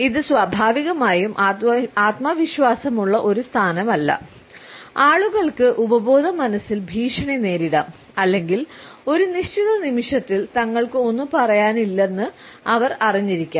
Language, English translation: Malayalam, It is not a naturally confident position people may feel subconsciously threatened or they might be aware that they do not have any say in a given moment